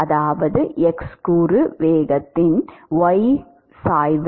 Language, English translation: Tamil, What about y component velocity y component velocity